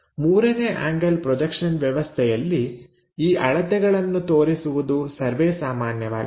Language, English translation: Kannada, In 3rd angle projection system, it is quite common to show these dimensions